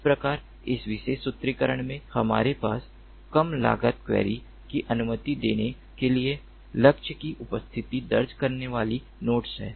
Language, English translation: Hindi, so in this particular formulation what we have is nodes registering the presence of the target to permit a low cost query